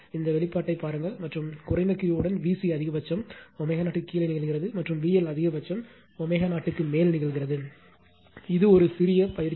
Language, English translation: Tamil, You look at this expression and with low Q, V C maximum occurs below omega 0, and V L maximum occurs at above omega 0 this one exercise small exercise for you right